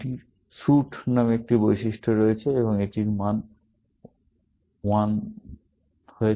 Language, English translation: Bengali, It has one attribute called suit, and it has the value called t